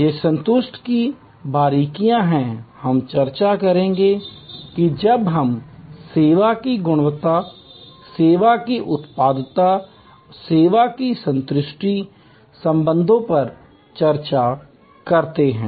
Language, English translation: Hindi, These are nuances of satisfaction we will discuss that when we discuss service quality, service productivity and customer satisfaction relationships